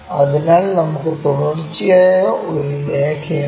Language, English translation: Malayalam, So, we have a continuous line